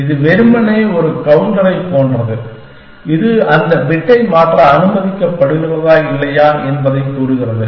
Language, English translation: Tamil, This is simply like a counter, which tells you whether you are allowed to change that bit or not